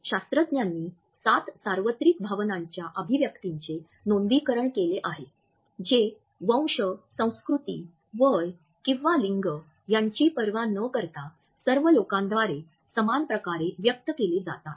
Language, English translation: Marathi, Scientists have documented seven universal facial expressions of emotion that are expressed similarly by all people regardless of race, culture, age or gender